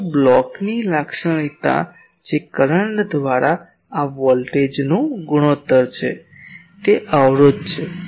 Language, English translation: Gujarati, , But the characteristic of the block that is the ratio of this voltage by current, that is the impedance